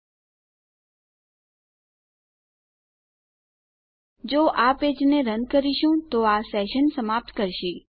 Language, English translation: Gujarati, If we run this page here, it will destroy our session